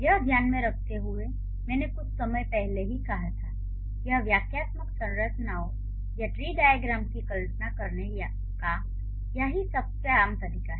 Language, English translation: Hindi, So, visually or considering I just mentioned a while ago, this is the most common way of visualizing the syntactic structures or the tree diagram